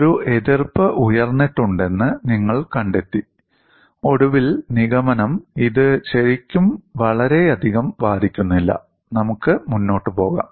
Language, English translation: Malayalam, You find that there is an objection raised, and finally, the conclusion is, it is not really affecting much; let us carry forward